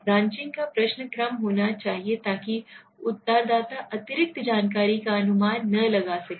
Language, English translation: Hindi, The branching question should be order so that the respondents cannot anticipate what additional information will be required